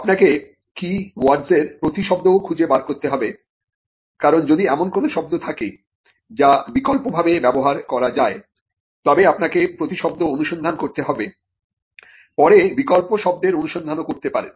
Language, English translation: Bengali, You should also find out the synonyms for keywords, because if there are words which can have which can be alternatively used, then you would also search the synonyms, and then do a search of the alternative words as well